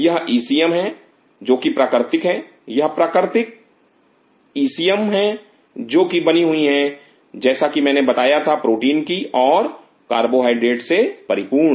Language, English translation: Hindi, These are ECM which are natural these are natural ECM which consists of as I have mentioned of proteins and flush carbohydrates